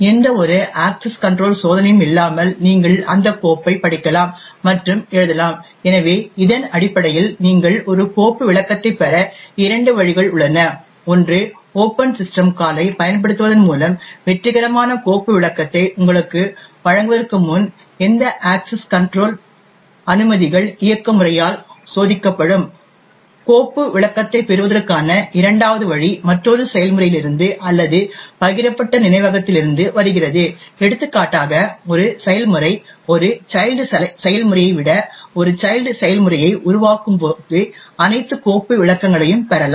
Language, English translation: Tamil, You can read and write to that file without any access control test which are done, so based on this there are two ways in which you can obtain a file descriptor, one is through using the open system call during which access control permissions are checked by the operating system before giving you a successful file descriptor, a second way to obtain a file descriptor is from another process or from shared memory, for example when a process spawns a child process than a child process would can inherit all the file descriptors